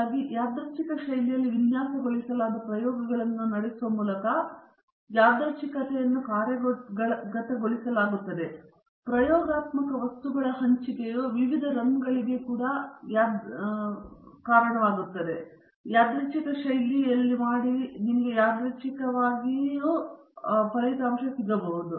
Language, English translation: Kannada, So, randomization is implemented by running the designed experiments in a random fashion and the allocation of the experimental material to the different runs is also done in a random fashion